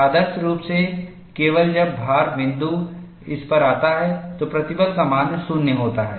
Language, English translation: Hindi, Ideally, only when the load point comes to this, the value of stress is 0